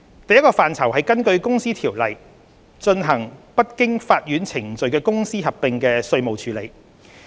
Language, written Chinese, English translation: Cantonese, 第一個範疇是根據《公司條例》進行不經法院程序的公司合併的稅務處理。, 112 IRO in four areas . The first one is the tax treatment for amalgamation of companies under the court - free procedures as provided for under the Companies Ordinance Cap